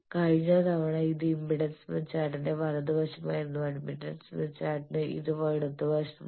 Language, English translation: Malayalam, Last time it was right side for impedance smith chart, for admittance smith chart it is left side